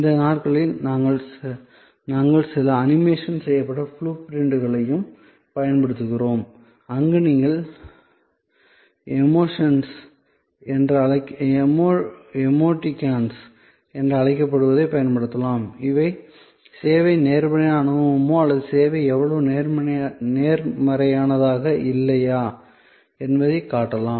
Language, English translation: Tamil, These days, we also use some animated blue prints, where you can use the so called emoticons to show that, whether the service was the positive experience or whether the service was not so positive and so on